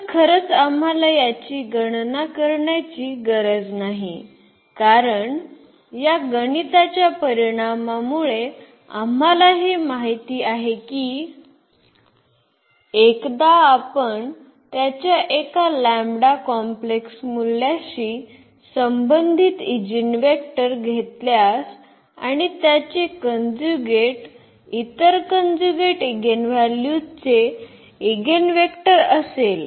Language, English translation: Marathi, So, indeed we do not have to compute this since we know this result from this calculation that once we have eigenvector corresponding to one complex value of this lambda and its conjugate will be will be the eigenvector of the other conjugate eigenvalue